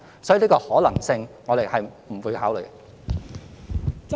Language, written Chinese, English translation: Cantonese, 所以，這個可能性我們是不會考慮的。, Therefore we will not consider this possibility